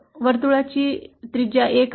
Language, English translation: Marathi, The circle have a radius 1